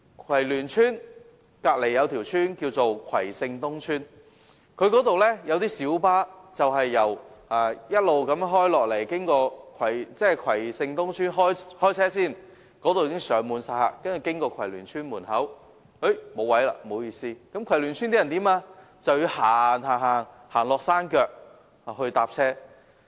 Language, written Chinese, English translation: Cantonese, 葵聯邨旁邊有葵盛東邨，那裏開出的小巴會經過葵聯邨，但在葵盛東邨開車時已上滿乘客，到葵聯邨時已沒有座位，葵聯邨居民只能走到山腳乘車。, Kwai Shing East Estate is situated next to Kwai Luen Estate . Light buses departing from Kwai Shing East Estate are already fully occupied and hence when they pass through Kwai Luen Estate the residents there cannot get on board and they have to walk down to the foot of the hill to take buses